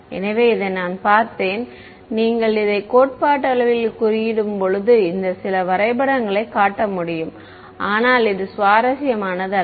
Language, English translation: Tamil, So, this saw I mean you get a hang of this when you code it up theoretically I can show this some graphs, but it is not interesting ok